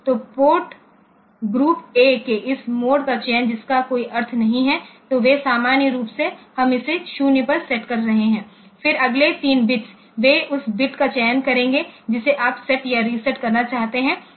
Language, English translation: Hindi, So, this mode selection of port group A that does not have any meaning; so, they are by default normally we are setting it to 0, then the next 3 bits, they will select the bit that you want to set or reset ok